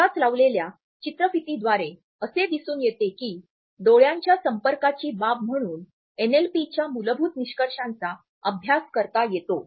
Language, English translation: Marathi, The video which we would play right now encapsulates the basic findings of NLP as far as eye contact is concerned